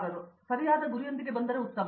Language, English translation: Kannada, So, if better if we come with proper goal